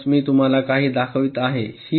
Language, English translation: Marathi, so i have, i am showing you a few